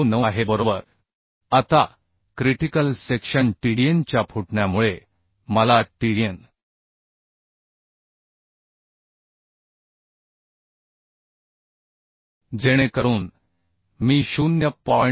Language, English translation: Marathi, 029 right Now I can find out the strength Tdn right due to rapture of critical section Tdn so that I can put the value that will be 0